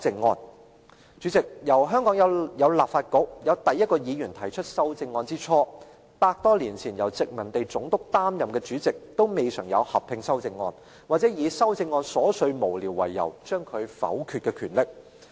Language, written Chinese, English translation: Cantonese, 代理主席，由香港有立法局，有第一位議員提出修正案之初，百多年前由殖民地總督擔任的主席也未嘗有合併修正案，或以修正案瑣屑無聊為由而將其否決的權力。, Deputy President since the Legislative Council was first established and the first Member proposed the maiden amendment over a hundred years ago the colonial Governor in his role as the President of the Legislative Council had neither bundled Members amendments into a joint debate nor rejected their amendments under the pretext of trivia or meaninglessness